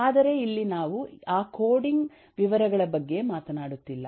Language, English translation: Kannada, but here we are not talking about those coding details